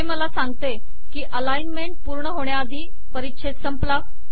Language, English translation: Marathi, It comes and says that paragraph ended before alignment was complete